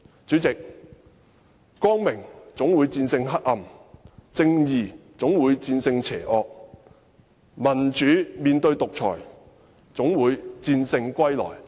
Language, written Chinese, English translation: Cantonese, 主席，光明總會戰勝黑暗，正義總會戰勝邪惡，民主總會戰勝獨裁。, President the light will always defeat darkness justice will always prevail over evil and democracy will always prevail over dictatorship